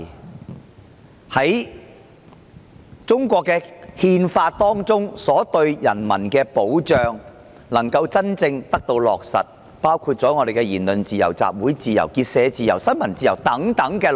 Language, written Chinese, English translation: Cantonese, 大家都期盼中國憲法對人民的保障能夠真正得到落實，其中包括言論自由、集會自由、結社自由、新聞自由等。, We all hope that the Chinas constitutional will genuinely give protection to its people which include freedom of speech of assembly of association of the press etc